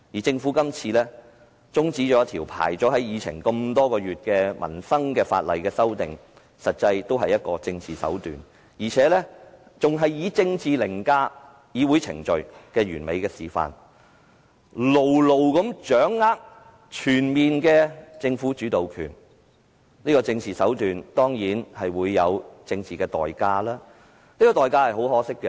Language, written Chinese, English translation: Cantonese, 政府今次中止一項在議程上輪候多月有關民生的法案，實際也是玩弄政治手段，並且是一次以政治凌駕議會程序的完美示範，牢牢掌握全面的政府主導權，這種政治手段當然有政治代價，而這代價是很可惜的。, By adjourning the scrutiny of a livelihood - related Bill that has been listed on the agenda for months the Government is manipulating political means a perfect demonstration of politics overriding the legislative procedure and a move by the Government to consolidate its comprehensive power . Such kind of political manoeuvring certainly has a political price which is highly regrettable